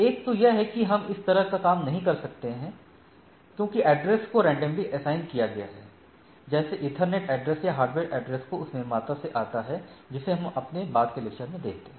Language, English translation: Hindi, So, one is that we can’t do this sort of things if the address are assigned randomly right like, ethernet address or hardware address which comes from the manufacture we look at when in our subsequent lectures